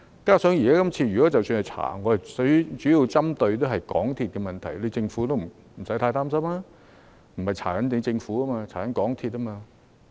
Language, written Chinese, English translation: Cantonese, 其實，這次即使本會進行調查，我們主要針對的是港鐵公司的問題，政府不用太擔心，因為不是調查政府，而是調查港鐵公司。, In fact even if this Council conducts an investigation we will mainly focus on the problems with MTRCL . The Government should not be too worried as our target of investigation is not the Government but MTRCL